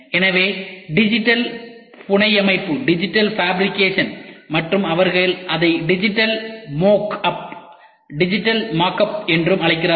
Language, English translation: Tamil, Then the next one is digital fabrication and they also call it as digital mock up